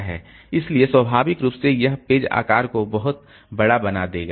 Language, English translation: Hindi, So, naturally, that will making the page size to be very, very large